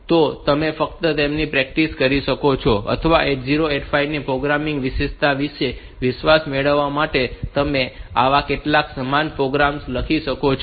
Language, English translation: Gujarati, So, you can just practice them or you can write some similar such programs to get confidence about the programming features of 80 85